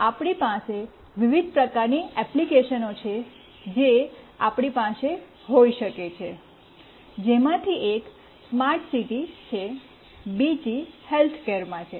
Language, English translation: Gujarati, There is a wide variety of applications that we can have, one of which is smart city, another is in healthcare